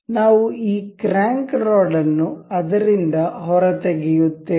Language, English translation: Kannada, We will take out this crank rod out of it